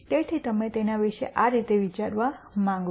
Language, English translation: Gujarati, So, you want to think about it this way